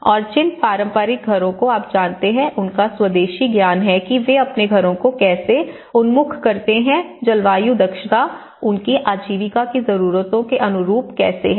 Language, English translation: Hindi, And the traditional houses you know and their indigenous knowledge how they oriented their houses, they are climatically efficient, how it suits their livelihood needs